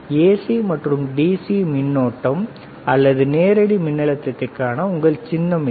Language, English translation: Tamil, This is your symbol for AC alternative voltage DC direct current or direct voltage ok